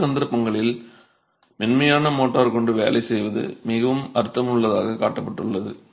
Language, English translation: Tamil, In several cases, working with a softer motor is, has shown to be much more meaningful